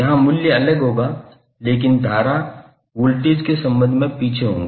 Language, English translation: Hindi, So here the value would be different but the current would be lagging with respect to voltage